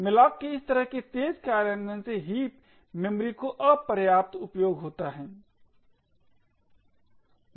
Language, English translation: Hindi, Such fast implementation of malloc would quite often result in insufficient use of the heap memory